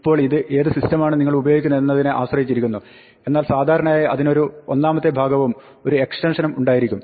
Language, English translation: Malayalam, Now, this will depend a little bit on what system you are using, but usually it has a first part and an extension